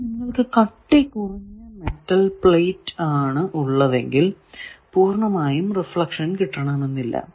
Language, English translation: Malayalam, Now, if you have a thin metal plate that also will re plate may not be with full reflection